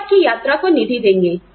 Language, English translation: Hindi, They will fund your travel